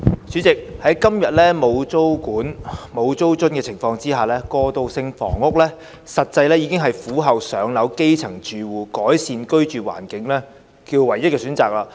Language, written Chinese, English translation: Cantonese, 主席，在今天沒有租管及租津的情況下，過渡性房屋實際上是苦候"上樓"的基層住戶改善居住環境的唯一選擇。, President in the absence of any rental control and rental subsidies these days transitional housing is actually the only option for improving the living environment of grass - roots households who are in a dire wait for public housing allocation